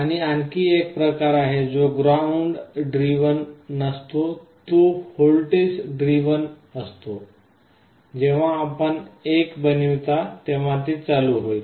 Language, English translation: Marathi, And there is another kind which is not ground driven it is voltage driven, when you make it 1 it will be on